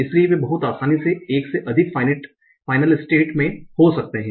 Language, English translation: Hindi, So they can be more than one final state very easily